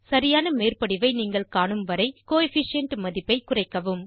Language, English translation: Tamil, Reduce the Coefficient value till you see a proper overlap